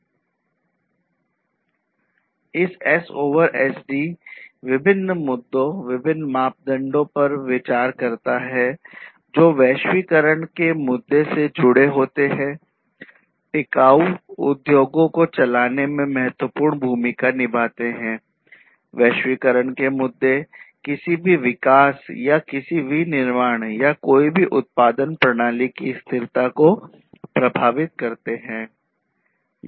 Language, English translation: Hindi, So, this S over SD considers different issues, different parameters some of these parameters are linked to the issue of globalization, which is basically considered as one of the important drivers of sustainable industries, globalization issues affect the sustainability of any development or any manufacturing or any production system